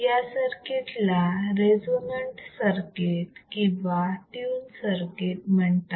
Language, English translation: Marathi, tThis circuit is also referred to as resonant circuit or tuned circuit